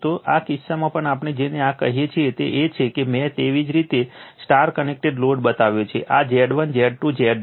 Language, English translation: Gujarati, So, in this case your, what we call this is I have made you the star connected load this is Z 1, Z 2, Z 3